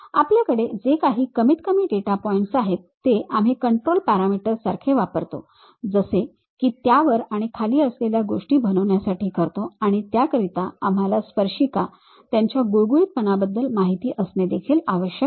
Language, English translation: Marathi, The minimum data points what we have those we will use it like control parameters to make it up and down kind of things and we require something about tangents, their smoothness also